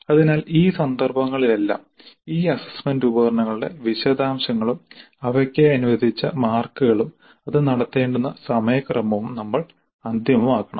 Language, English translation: Malayalam, So in all these cases we must finalize first the details of these assessment instruments and the marks allocated for them as well as the schedule when that particular instrument is going to be administered